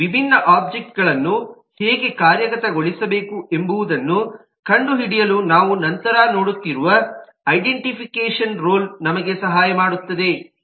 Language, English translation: Kannada, the identification rule we will see later on would help us in actually finding out how this different object should be implemented